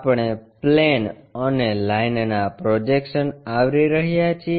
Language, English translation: Gujarati, We are covering Projection of Planes and Lines